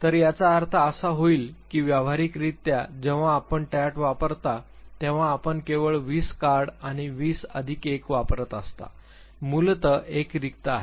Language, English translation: Marathi, So, that would mean that practically when you used TAT you would be using only twenty cards and twenty plus one basically one is the blank one